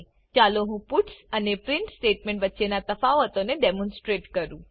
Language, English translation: Gujarati, Now let me demonstrate the difference between puts and print statement